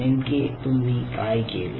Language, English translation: Marathi, ok, what you do